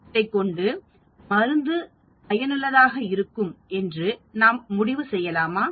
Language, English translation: Tamil, Can we conclude the drug is effective